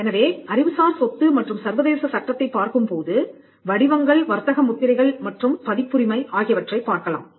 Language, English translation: Tamil, So, when we look at intellectual property and international law, we can look at patterns, trademarks and copyrights